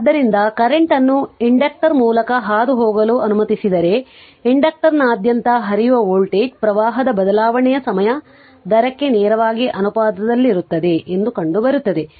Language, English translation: Kannada, So if the current is allowed to pass through an inductor it is found that the voltage across the inductor is directly proportional to the time rate of change of current